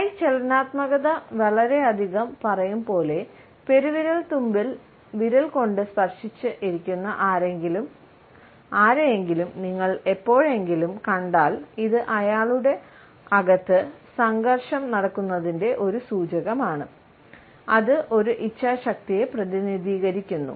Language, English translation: Malayalam, As hands will tell so much, if you ever see someone with their hand, with their thumb tucked in behind their fingers like this, this is a indicator of something going on inside, the some represents a willpower